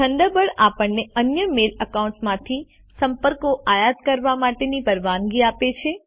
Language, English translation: Gujarati, Thunderbird allows us to import contacts from other Mail accounts too